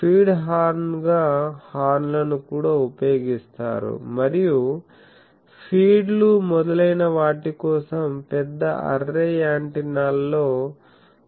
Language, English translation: Telugu, So, as a feed horn also horns are used and also in large array antennas the for feeds etc